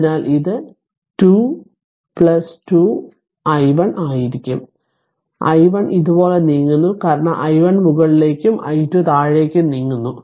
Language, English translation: Malayalam, So, it will be 2 into plus 2 into i 1 minus i 2 you are moving like this because i 1 is going upward and i 2 moving downwards